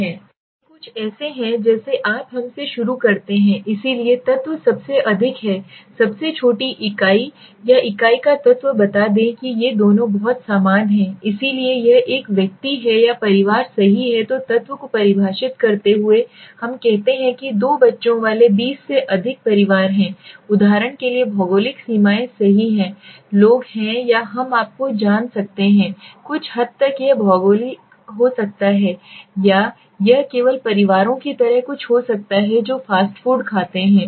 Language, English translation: Hindi, So these are some these are something like you let us begin with so the element is the most smallest unit or element of the unit let us say these two are very similar so it is an individual or family right then while defining the element we say individuals over 20 families with two kids for example right extend the geographical boundaries are people or we can have you know the extent it might be geographical or it might be something like only families who eat fast food right